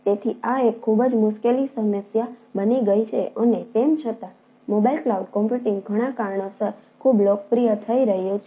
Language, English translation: Gujarati, so this becomes pretty tricky issue and nevertheless, ah mobile cloud computing is becoming pretty popular because of several ah reasons